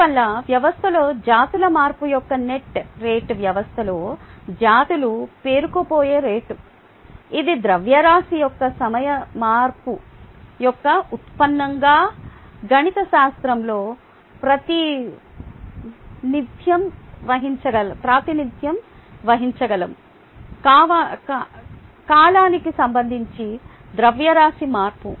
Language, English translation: Telugu, therefore, the net rate of species change in the system is the rate at which the species gets accumulated in the system, which we can represent mathematically as a derivative of the time change of mass